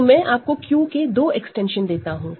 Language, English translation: Hindi, So, I will give you two extensions of Q